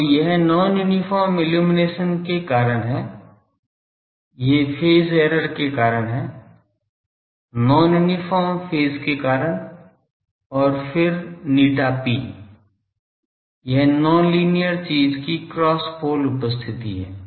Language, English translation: Hindi, So, this is due to this is due to non uniform illumination, this is due to phase error, due to phase non uniform phase and then eta p it is the cross pole presence of non linear thing